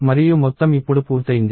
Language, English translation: Telugu, And the whole thing got done now